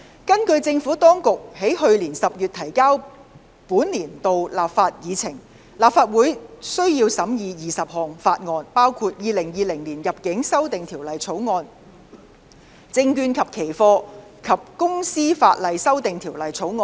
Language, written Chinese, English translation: Cantonese, 根據政府當局在去年10月提交的本年度立法議程，立法會須審議20項法案，包括《2020年入境條例草案》和《證券及期貨及公司法例條例草案》。, According to the legislative programme presented by the Administration to the Legislative Council in October last year for the current session the Legislative Council will need to scrutinize 20 bills including the Immigration Amendment Bill 2020 and the Securities and Futures and Companies Legislation Amendment Bill